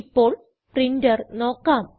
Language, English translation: Malayalam, Now, lets have a look at our printer